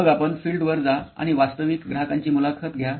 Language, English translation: Marathi, Then you go out into the field and interview real customers